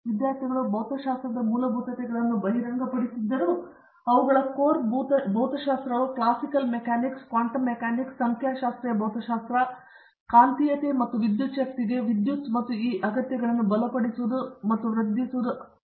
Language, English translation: Kannada, So, although the students have exposure to fundamentals of physics, their core physics namely classical mechanics, quantum mechanics, statistical physics, electricity in magnetism and mathematical physics these needs to be strengthened and augmented